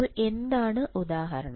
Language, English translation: Malayalam, So, what is the example